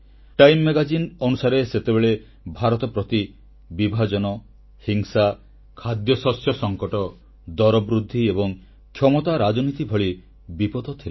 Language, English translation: Odia, Time Magazine had opined that hovering over India then were the dangers of problems like partition, violence, food scarcity, price rise and powerpolitics